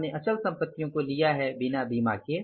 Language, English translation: Hindi, We have taken the fixed assets, unexplored insurance